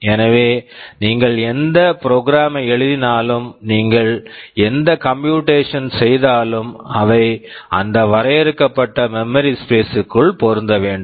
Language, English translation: Tamil, So, whatever program you write, whatever computation you do they must fit inside that limited memory space